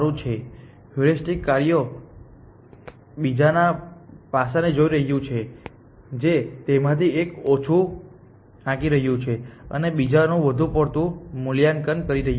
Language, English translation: Gujarati, This is looking at another aspect of heuristic functions which is one of them is underestimating and the other one is overestimating